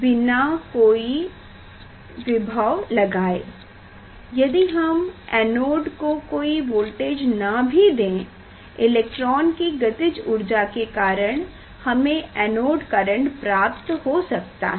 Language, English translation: Hindi, without giving any voltage; without giving any voltage to anode we may get anode current due to the kinetic energy of the electron